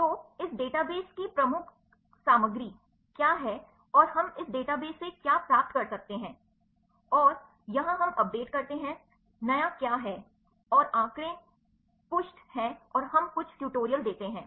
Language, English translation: Hindi, So, what the major contents of this a database and, what we can obtain from this database and, here we update the, what is new and the statistics page and we give few tutorials